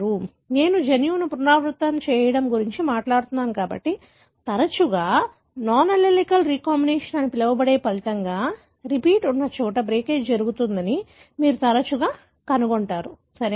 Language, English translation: Telugu, So, since I am talking about repeat flanking a gene, more often resulting in what is called as non allelic recombination, you would often find the breakage happens where the repeats are, right